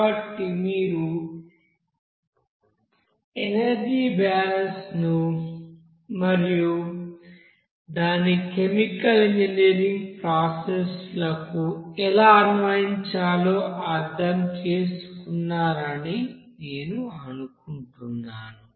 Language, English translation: Telugu, So I think you understood this, you know the energy balance and how to apply it to the chemical engineering processes